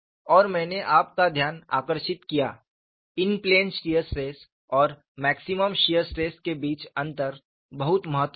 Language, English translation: Hindi, And I also drew your attention, a difference between in plane shear stress and maximum shear stress, very important